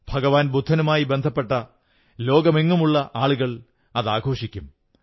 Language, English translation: Malayalam, Followers of Lord Budha across the world celebrate the festival